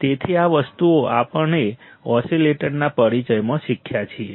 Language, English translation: Gujarati, So, these things we have learned in the introduction to the oscillators